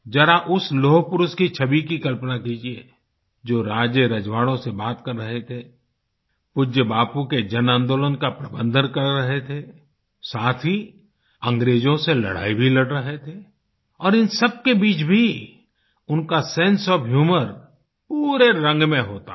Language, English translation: Hindi, Just visualize the image of the Ironman who was interacting simultaneously with kings and royalty, managing the mass movements of revered Bapu, and also fighting against the British… and in all these his sense of humour too was in full form